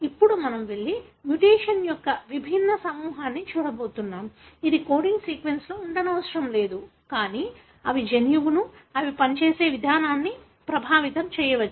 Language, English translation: Telugu, Now, we are going to go and look at a different group of mutation, which need not be present in the coding sequence, but still may affect the gene, the way they function